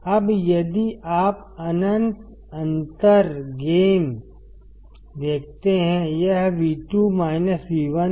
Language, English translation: Hindi, Now if you see infinite differential gain; it is V2 minus V1